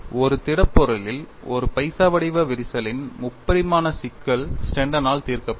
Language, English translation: Tamil, The 3 dimensional problem of a penny shaped crack in a solid was solved by Sneddon